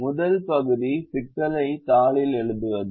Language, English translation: Tamil, the first part is writing the problem on the sheet